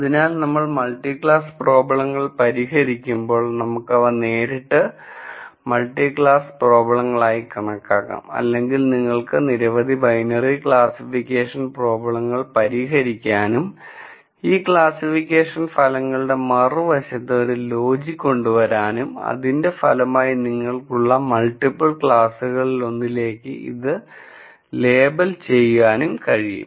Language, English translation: Malayalam, So, when we solve multi class problems, we can treat them directly as multi class problems or you could solve many binary classification problems and come up with a logic on the other side of these classification results to label the resultant to one of the multiple classes that you have